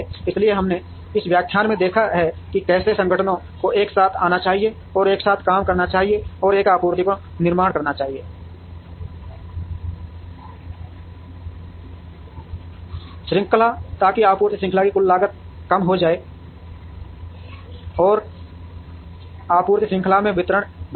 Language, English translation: Hindi, So, what we have seen in this lecture is how organizations should come together, and work together and form a supply chain, so that the total cost of the supply chain reduces and the delivery from the supply chain is made better